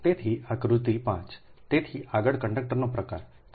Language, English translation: Gujarati, so next is type of conductors